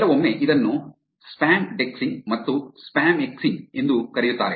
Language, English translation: Kannada, Sometimes, it is also called spamdexing and spamexing